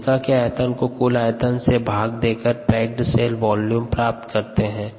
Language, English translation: Hindi, so this volume by the total volume is going to give you the percentage packed cell volume